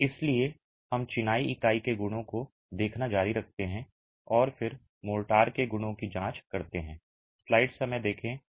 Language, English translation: Hindi, So, we continue looking at the properties of the masonry unit and then examine the properties of mortar